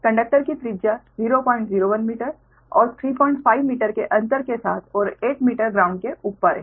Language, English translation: Hindi, radius of the conductor is point zero, one meter spaced, three point five meter apart and eight meter above the ground